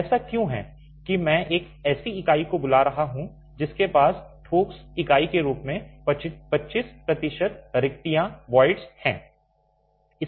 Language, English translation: Hindi, Why is that I am calling a unit which has about 25% voids as a solid unit